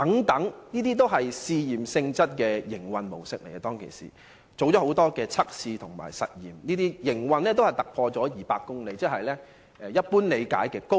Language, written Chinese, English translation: Cantonese, 當時的營運模式均屬試驗性質，曾多次進行實驗和測試，列車的行走速度超過200公里，一般理解為"高鐵"。, At that time the operating mode was experimental with a number of experiments and tests conducted . Those trains were travelling at a speed of over 200 km and was generally understood as high - speed trains . Later in 2007 another EMU ie